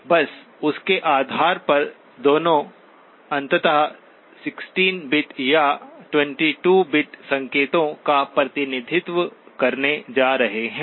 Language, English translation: Hindi, Just on the basis of, both eventually going to produce a 16 bit or 22 bit representation of the signals